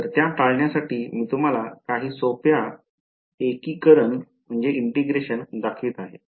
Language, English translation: Marathi, So, to avoid those, I am going to show you some very simple integrations